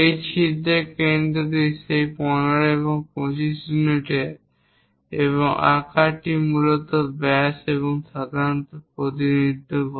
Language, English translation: Bengali, The center of that hole is at that 15 and 25 units and the size basically diameter we usually represent